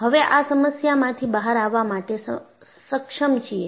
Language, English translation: Gujarati, Now, you are able to come out of that problem